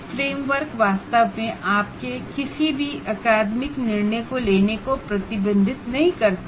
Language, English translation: Hindi, Actually, framework does not restrict any of your academic decision making